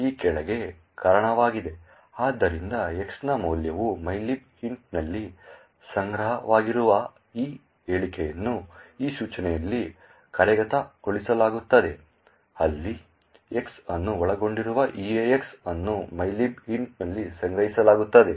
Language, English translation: Kannada, So, this statement where the value of X is stored in mylib int is executed in this instruction where EAX which comprises of X is stored in mylib int